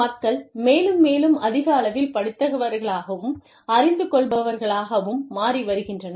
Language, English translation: Tamil, People are becoming, more and more educated, more and more aware